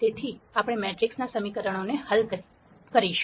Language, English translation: Gujarati, So, we will look at solving matrix equations